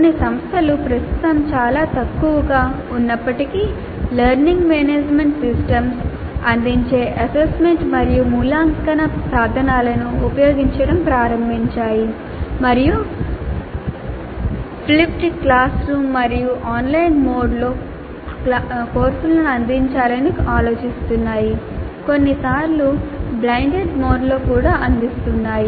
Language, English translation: Telugu, Some institutions though at present are still very small in number have started using assessment and evaluation tools offered by learning management systems and are thinking of offering courses in flipped classroom and online mode sometimes in blended mode